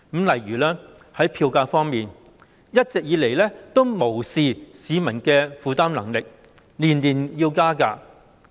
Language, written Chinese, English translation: Cantonese, 例如在票價方面，一直以來無視市民的負擔能力，每年加價。, For example as far as fares are concerned annual upward adjustments have all along been made without regard to public affordability